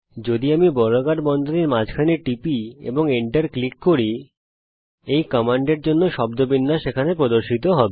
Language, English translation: Bengali, If I click in the middle of the square brackets and hit enter, the syntax for this command will appear here